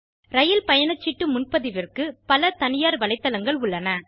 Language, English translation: Tamil, There are private website for train ticket booking